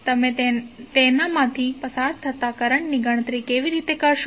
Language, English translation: Gujarati, How you will calculate the current passing through it